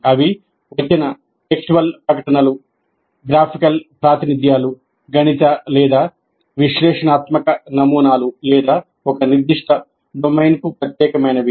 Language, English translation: Telugu, They can be textual statements, graphical representations, mathematical or analytical models, or languages which are very specific and unique to a particular domain